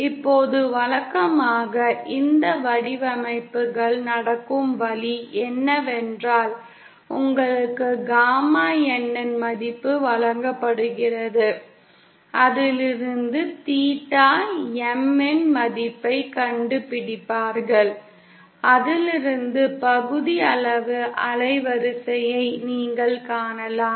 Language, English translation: Tamil, Now the way usually these designs happen is that you are given a value of gamma N from which you find out the value of theta M and from which you can find put the fractional band width